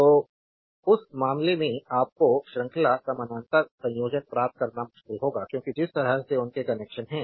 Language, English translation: Hindi, So, in that case you will find a difficult to get series parabola combination, because the way their connections R right